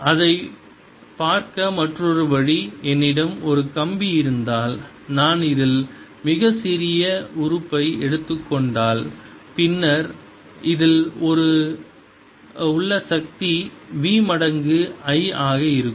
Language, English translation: Tamil, another way to look at it is: if i have a wire and if i take a very small element in this, then the power in this is going to be v times i